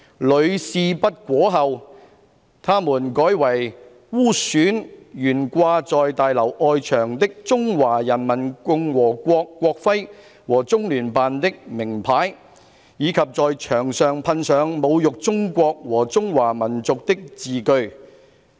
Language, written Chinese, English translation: Cantonese, 屢試不果後，他們改為污損懸掛在大樓外牆的中華人民共和國國徽和中聯辦的名牌，以及在牆上噴上侮辱中國和中華民族的字句。, After unsuccessful attempts they instead defaced the national emblem of the Peoples Republic of China and the name plate of the Liaison Office hanging on the façade of the building and sprayed on the walls words that insulted China and Chinese people